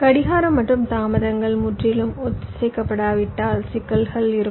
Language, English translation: Tamil, so if the clocking and delays are not absolutely synchronized there will be problem